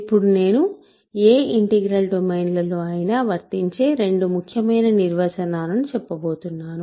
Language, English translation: Telugu, So, now I am going to give you two very important definitions which are valid in any integral domains ok